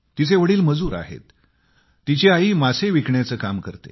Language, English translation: Marathi, Her father is a labourer and mother a fishseller